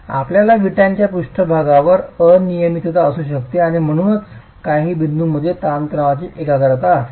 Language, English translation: Marathi, You can have irregularities on the brick surface and therefore there will be concentration of stresses in some points and smaller level of stresses in other points